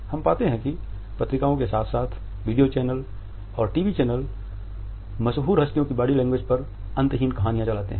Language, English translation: Hindi, We find that magazines as well as video channels TV channels carry endless stories on the body language of celebrities